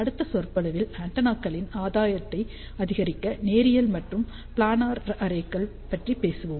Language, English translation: Tamil, In the next lecture, we will talk about linear and planar arrays to increase the gain of the antennas